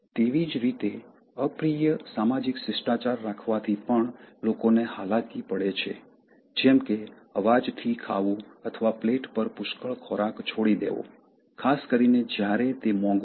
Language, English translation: Gujarati, Similarly, possessing unpleasant social etiquette also repels people, such as, eating food noisily or leaving plenty of food on plate, especially when it is expensive